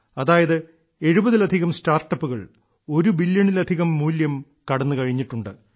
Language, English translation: Malayalam, That is, there are more than 70 startups that have crossed the valuation of more than 1 billion